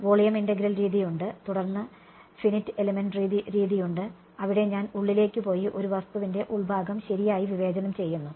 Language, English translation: Malayalam, There is volume integral method and then there is finite element method, where I go inside and discretize the interior of an object right